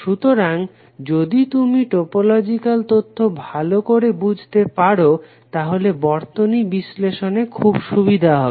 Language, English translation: Bengali, So if you can understand the topological information, it is very easy for you to analyze the circuit